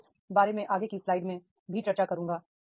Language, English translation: Hindi, I will discuss this in the further slide also